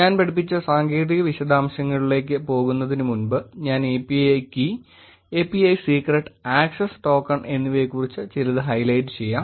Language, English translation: Malayalam, Before going to the technical details I taught I will just highlight something about API key, API secret and access token